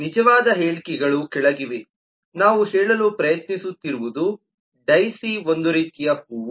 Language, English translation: Kannada, what we are trying to say is: daisy is a kind of flower